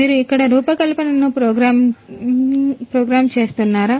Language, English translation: Telugu, Do you program the design here